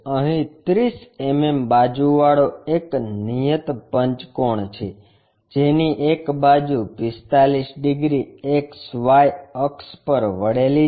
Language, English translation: Gujarati, Here, there is a regular pentagon of 30 mm sides with one side is 45 degrees inclined to xy axis